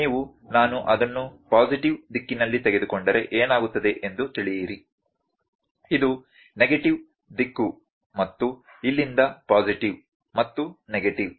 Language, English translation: Kannada, You know what will happen if I take it as a positive direction, this as negative direction and so on from here to positive and negative